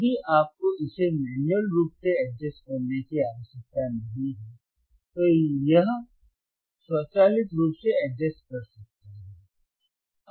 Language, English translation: Hindi, If you do not need to adjust it manually, it can automatically adjust